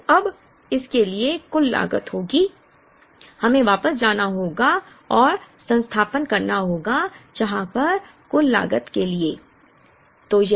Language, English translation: Hindi, So now, for this the total cost will be, we will have to go back and substitute here for the total cost